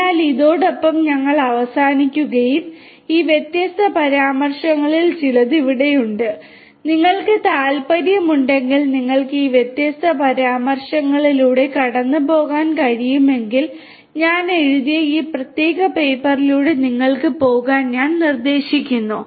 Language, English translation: Malayalam, So, with this we come to an end and these are some of these different references that are there and you know if you are interested you could go through these different references, I would suggest that you go through this particular paper that was authored by me